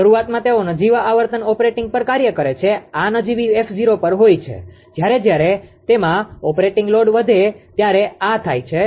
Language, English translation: Gujarati, Initially they are operating at nominal frequency f 0, this is at nominal frequency f 0 when this when they are operating load has increased